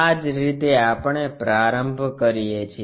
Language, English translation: Gujarati, This is the way we begin with